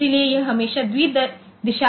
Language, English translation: Hindi, So, it is always bi directional